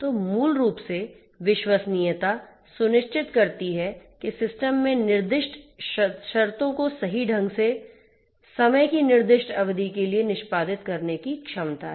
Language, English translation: Hindi, So, basically reliability ensures that the system has the ability to perform the under stated conditions correctly for the specified duration of time